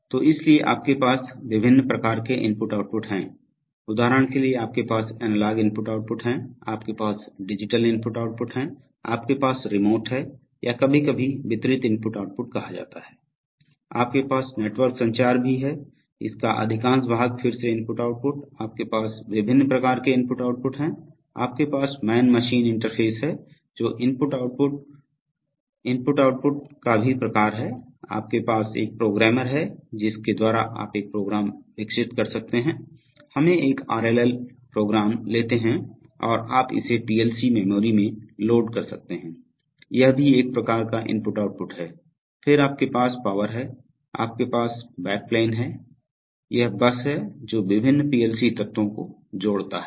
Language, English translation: Hindi, So there, so you have various kinds of I/O, for example you have analog I/O, you have digital I/O, you have remote or sometimes called distributed I/O, you also have network communication, much of it is again I/O, so you have various kinds of I/O, you have man machine interface which is also kind of I/O, input output, then you have the, you have a programmer which, by which you can develop a program, let us say a RLL program and you can load it into the PLC memory, that is also a kind of I/O, then you have power, you have the backplane that, this is the bus which connects the various PLC elements